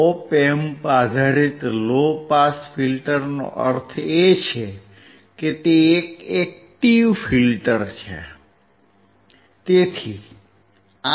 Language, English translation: Gujarati, Op Amp based low pass filter means it is an active filter